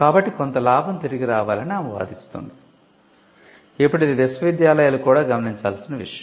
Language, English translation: Telugu, So, she argues that there has to be some profit has to come back, now this is something universities can also look at